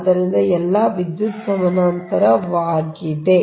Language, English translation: Kannada, right, so all are electrically parallel